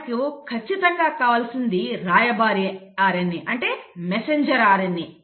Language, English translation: Telugu, Well you definitely need a messenger RNA